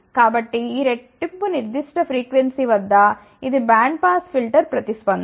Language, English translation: Telugu, So, this is the band pass filter response at double of this particular frequency